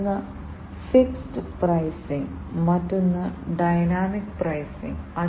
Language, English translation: Malayalam, One is the fixed pricing, the other one is the dynamic pricing